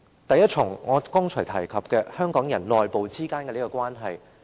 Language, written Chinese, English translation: Cantonese, 首先是我剛才提及香港人內部之間的關係。, The first part as I mentioned just now is the internal relationship among the people of Hong Kong